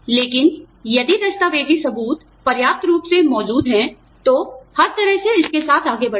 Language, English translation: Hindi, But, if the documentary evidence is strong enough, by all means, go ahead with it